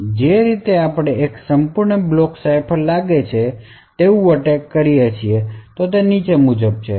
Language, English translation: Gujarati, So, the way we actually extend the attack that we seem to a complete block cipher is as follows